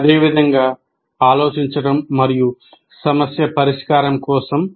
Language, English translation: Telugu, Similarly for thinking, similarly for problem solving